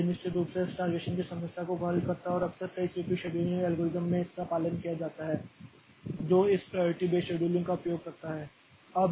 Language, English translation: Hindi, So, this solves the starvation problem definitely and that is often followed in many CPU scheduling algorithms that uses this priority based scheduling